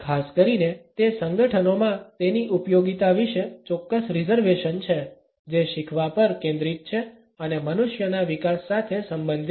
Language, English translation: Gujarati, There are certain reservations about its applicability particularly in those organisations, which are focused on learning and related with development of human beings